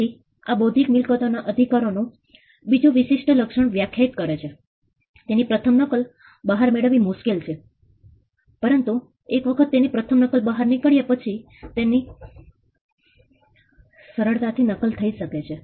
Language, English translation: Gujarati, So, this defines yet another trait of intellectual property right it is difficult to get the first copy out, but once the first copy is out it is easily replicable